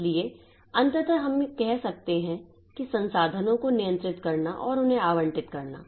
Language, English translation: Hindi, So, ultimately, so we can say that the controlling and allocating resources, so they are, we can do it separately